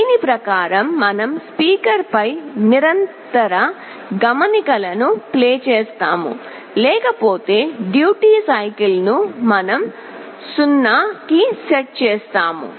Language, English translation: Telugu, Accordingly we play a continuous note on the speaker, but otherwise we set the duty cycle to 0